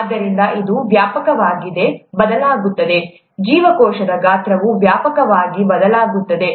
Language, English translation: Kannada, So it widely varies, the cell size widely varies